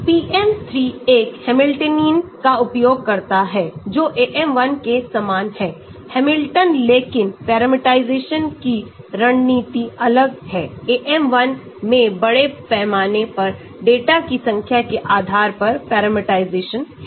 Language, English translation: Hindi, Hamiltonian but the parameterization strategy is different, AM1 has parameterization largely based on a small number of data